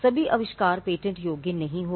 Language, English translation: Hindi, Not all inventions are patentable